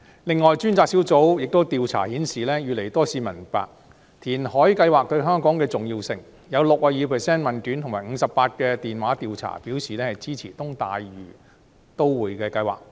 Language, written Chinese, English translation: Cantonese, 此外，專責小組的調查亦顯示，越來越多市民明白填海計劃對香港的重要性，有 62% 的問卷及 58% 的電話調查表示支持東大嶼都會計劃。, Moreover according to the survey conducted by the Task Force more and more members of the public understand the importance of the reclamation project to Hong Kong . Sixty - two percent of the questionnaire respondents and 58 % of the telephone survey respondents supported the development of the East Lantau Metropolis